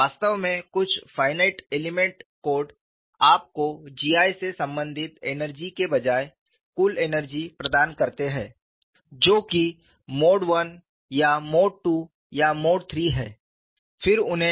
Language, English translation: Hindi, In fact, some of the finite element course provide, you the total energy rather than energy pertaining to G 1 that is mode 1 or mode 2 or mode 3